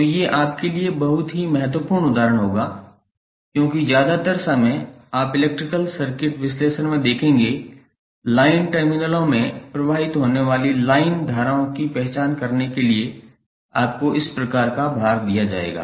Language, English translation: Hindi, So, these would be very important example for you because most of the time you will see in the electrical circuit analysis you would be given these kind of load to identify the line currents which are flowing across the line terminals